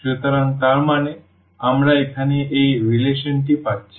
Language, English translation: Bengali, So, that means, we are getting this relation here